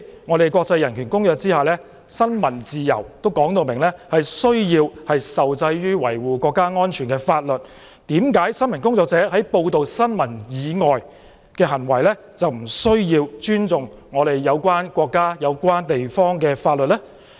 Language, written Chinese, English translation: Cantonese, 在國際人權公約之下，新聞自由受制於維護國家安全的法律，為何新聞工作者在報道新聞以外的行為，卻不需要尊重有關國家、地方的法律呢？, Since freedom of the press is subject to laws on safeguarding national security under the international treaties on human rights how come media workers need not respect the laws of a country or a region in their actions other than covering news events?